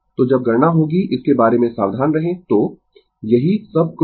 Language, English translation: Hindi, So, when you will do the calculation be careful about that so, that is all